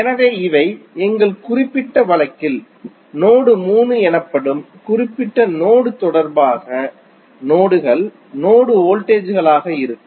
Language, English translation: Tamil, So, these would be the nodes, node voltages with respect to the reference node that is node 3 in our particular case